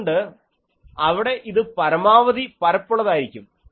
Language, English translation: Malayalam, So, there it becomes maximally flatter and flatter